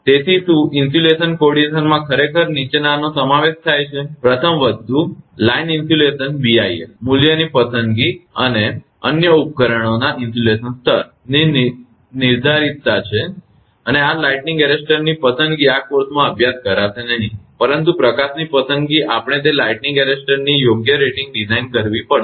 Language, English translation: Gujarati, So, does the insulation coordination actually involves the following, first thing is the determination of line insulation, selection of the BIL value, and insulation levels of other apparatus, and selection of lightning arrester this lightning arrester will not study in this course, but the selection of light we have to design that proper rating of the lightning arrester